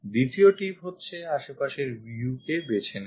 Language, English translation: Bengali, The second tip is select the adjacent view